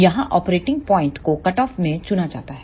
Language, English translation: Hindi, Here the operating point is chosen at the cutoff